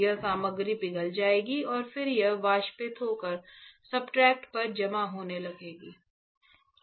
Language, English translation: Hindi, This material will get melted and then it will start evaporating and depositing on the substrate, is not it